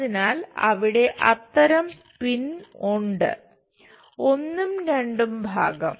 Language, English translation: Malayalam, So, such kind of pin is there; the first and second part